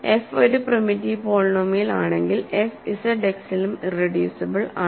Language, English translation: Malayalam, So, f is primitive, and hence f is also irreducible in Z X